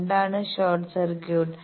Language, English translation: Malayalam, What is short circuit